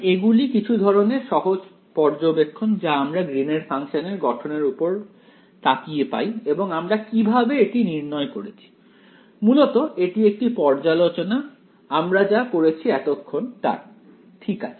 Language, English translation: Bengali, I mean these are just sort of simple observation you can get by looking at the form of the Green’s function that we got and how we derived it ok, it is more like a review or summary of what you’ve done so far ok